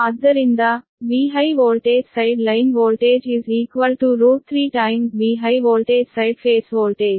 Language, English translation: Kannada, so v high voltage, side line voltage is equal to root three times v high voltage side phase voltage